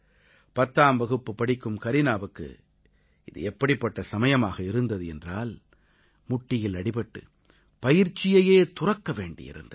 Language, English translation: Tamil, However there was a time for Kareena, a 10th standard student when she had to forego her training due to a knee injury